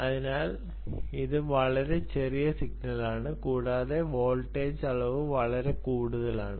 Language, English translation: Malayalam, so this is ah, essentially a very small signal and the voltage levels are very low